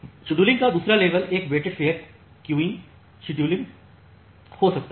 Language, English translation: Hindi, So, the second level of scheduling can be a weighted fair queuing scheduling